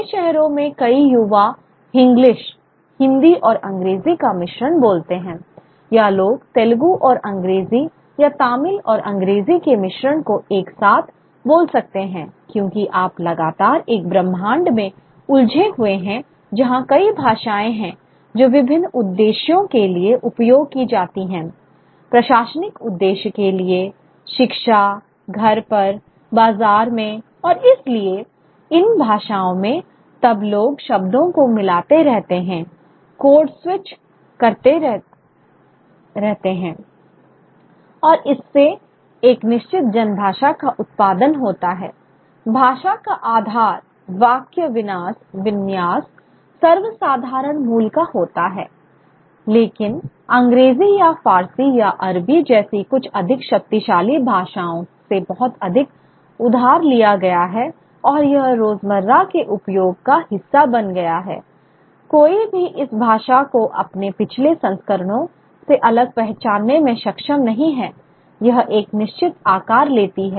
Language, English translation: Hindi, Many youth in the largest cities speak of a kind of a mixture of English, Hindi and English, or people could speak a mixture of Telugu and English or Tamil and English together because you are constantly engaging in a universe where there are multiple languages which are used for different purposes for administrative purpose education at home in the bazaar and and therefore these languages then people keep mixing the words keep code switching and it produces a certain the base syntax remains of the language which is of plebeian origin, but there is a lot of borrowing from some of the more powerful languages like English or Persian or Arabic and it becomes part of everyday usage